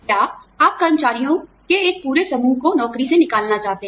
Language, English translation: Hindi, Or, you may want to lay off, a whole bunch of employees